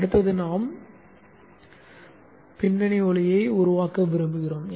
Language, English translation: Tamil, Next we would like to make the background light